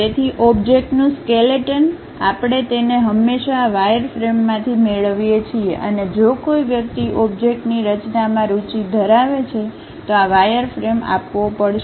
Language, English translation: Gujarati, So, the skeleton of the object we always get it from this wireframe and this wireframe has to be supplied, if one is interested in designing an object